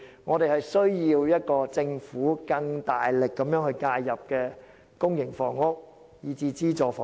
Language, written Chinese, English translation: Cantonese, 我們需要政府推出政策，更大力介入公營房屋和資助房屋。, We need the Government to introduce policies which make strong intervention in public and subsidized housing